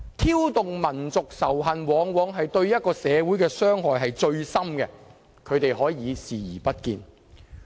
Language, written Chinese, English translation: Cantonese, 挑動民族仇恨往往對一個社會傷害至深，但他們可以視而不見。, They are turning a blind eye to the fact that inciting national hatred can deeply hurt a society